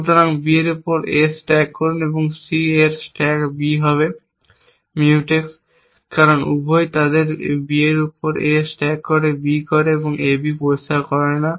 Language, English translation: Bengali, So, stack A on B and stack B on C will be Mutex because both are them, so stack A on B makes B, A makes B not clear and this needs or something like that